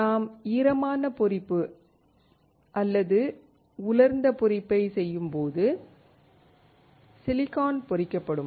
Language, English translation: Tamil, When we perform wet etching or dry etching, the silicon will get etched